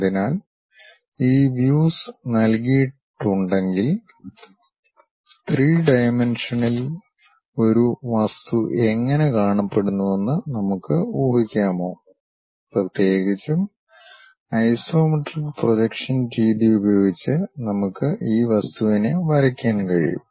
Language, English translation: Malayalam, So, if these views are given, can we guess how an object in three dimensions looks like and especially can we draw that object using isometric projection method